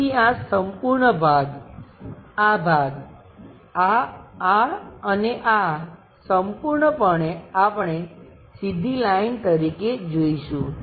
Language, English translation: Gujarati, So, this entire part, this part, this one, this one, this one entirely we will see it like a straight line